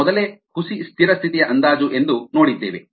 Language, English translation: Kannada, we had looked at something called pseudo steady state approximation earlier